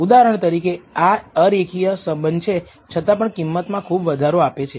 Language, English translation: Gujarati, For example, this is a non linear relationship and still gives rise to a high value